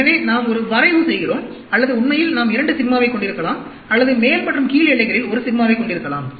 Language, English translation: Tamil, So, we plot a 3 sigma, or we can have 2 sigma, or we can have 1 sigma in the upper and lower bounds, actually